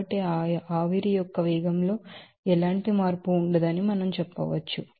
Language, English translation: Telugu, So, we can say that there will be no change of velocity of that steam